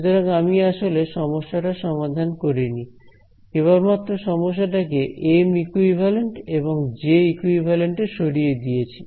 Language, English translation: Bengali, So, I have made it I have not actually solved the problem I have just transferred the problem into M equivalent and J equivalent ok